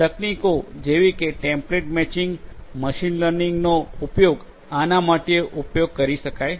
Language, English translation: Gujarati, Techniques such as template matching, in machine learning could be used for doing it